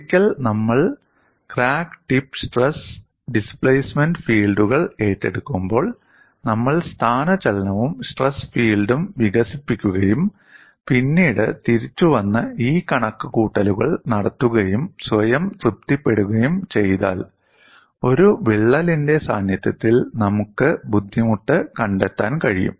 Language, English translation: Malayalam, Once we take a crack tip stress and displacement fields, we would develop displacement as well as stress field then come back and do these calculations again, and satisfy our self that, we could find out the strain energy in the presence of crack, from a mathematical stand point accurately